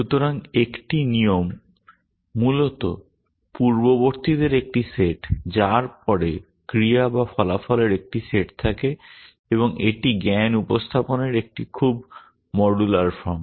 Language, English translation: Bengali, So, a rule is basically a set of antecedents followed by a set of actions or consequents and it is a very modular form of knowledge representation